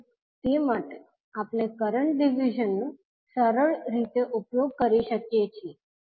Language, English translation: Gujarati, So for that we can simply utilize the current division